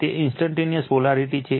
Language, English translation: Gujarati, It is instantaneous polarity